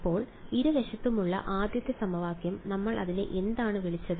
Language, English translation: Malayalam, So, the first equation on both sides, what did we call it